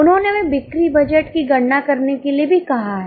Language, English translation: Hindi, They have also asked us to calculate the sales budget